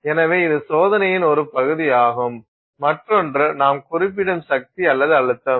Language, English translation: Tamil, We also, as part of the test, so that is one part of the test, the other thing that we specify is the force or the pressure